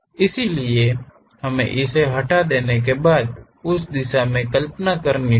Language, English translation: Hindi, So, we have after removing that we have to visualize it in that direction